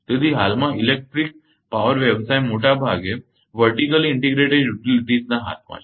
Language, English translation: Gujarati, So, the electric power business at present is largely in the hands of vertically integrated utilities